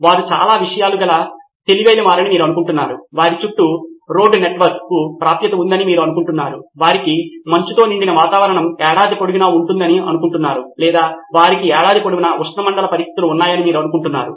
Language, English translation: Telugu, You think they are very text savvy, you think they have access to road network around them, you think they have icy weather year round or you think they have tropical conditions year round